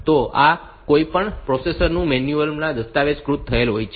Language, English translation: Gujarati, So, this is documented in the in the manual of any processor